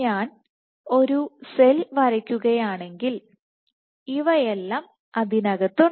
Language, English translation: Malayalam, So, if I draw the cell and you have these ok